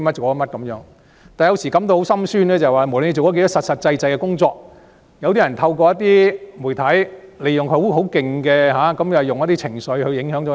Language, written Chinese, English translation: Cantonese, 我有時也感到很心酸，不管我們做了多少實事，有些人也會透過媒體利用一些情緒影響市民。, Sometimes my heart aches with sadness . No matter how much solid work we have done some people will influence members of the public with some sort of sentiments through the media